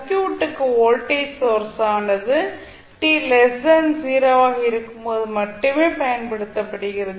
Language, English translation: Tamil, So the voltage source is applied to the circuit only when t less than 0